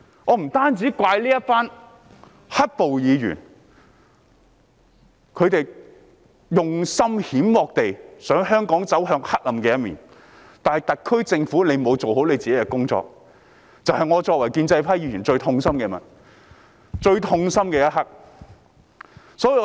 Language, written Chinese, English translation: Cantonese, 我要怪責的不單是支持"黑暴"的議員，他們用心險惡，想令香港走向黑暗，而同時，特區政府亦未有做好份內事，這是我作為建制派議員感到最痛心之處。, I have to blame not only those evil - minded Members supporting violent protesters and attempting to push Hong Kong into the darkness but also the SAR Government which has failed to do its part . This is what I as a pro - establishment Member find most distressing